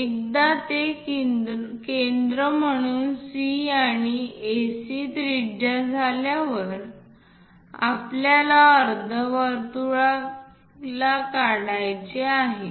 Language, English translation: Marathi, Once that is done C as centre and AC as radius we have to draw a semicircle